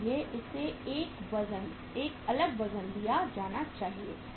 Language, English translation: Hindi, So it should be given a different weight